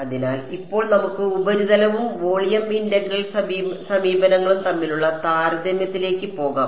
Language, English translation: Malayalam, So, now let us go to sort of a comparison between the Surface and Volume Integral approaches right